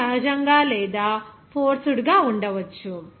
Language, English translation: Telugu, It may be natural or forced